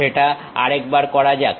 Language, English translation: Bengali, Let us do that once again